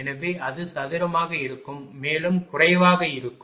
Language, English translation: Tamil, So, it will be square will be also less